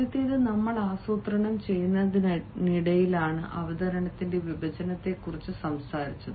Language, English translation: Malayalam, the first is, while we are planning, we had talked about the division of the presentation